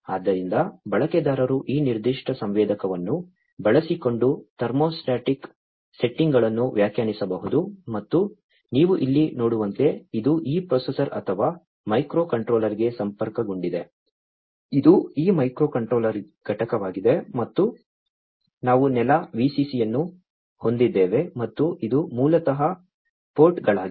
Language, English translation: Kannada, So, the user can define the thermostatic settings using this particular sensor and as you can see over here, it is connected to this processor or the microcontroller this is this microcontroller unit and we have the ground, the VCC, and these are basically the ports on the I2C bus